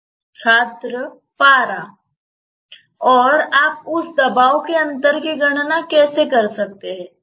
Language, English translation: Hindi, Student: Mercury And how can you calculate the differential of that pressure